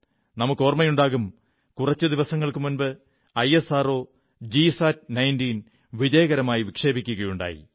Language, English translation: Malayalam, We are all aware that a few days ago, ISRO has successfully launched the GSAT19